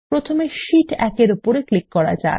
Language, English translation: Bengali, First, let us click on sheet 1